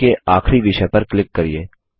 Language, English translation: Hindi, Click on the last item in the list